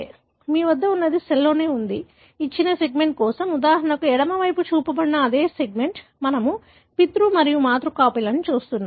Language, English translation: Telugu, So, what you have is in a cell, for a given segment, for example the same segment that is shown on the left side, we are looking at the paternal and maternal copies